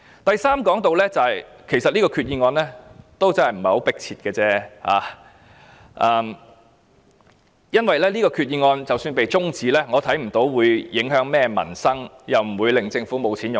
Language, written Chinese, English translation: Cantonese, 第三，其實這項決議案也不是很迫切，因為這項決議案的辯論即使中止待續，我看不到會影響民生，也不會令政府缺錢用。, Thirdly the Resolution is indeed not so urgent because I do not see that peoples livelihood will be affected and the Government in deficit even if the debate on the Resolution is adjourned